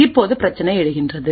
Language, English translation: Tamil, Now the problem arises